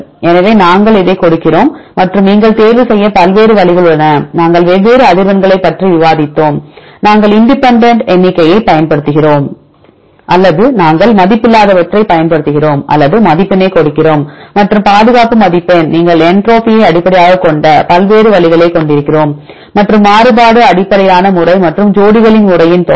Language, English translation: Tamil, So, we give this one and there are various ways you can select this is what we discuss we discussed about the different frequencies either we use independent count or we use unweighted or give weighted and the conservation score we have different ways you can use entropy based method and the variance based method and the sum of pairs method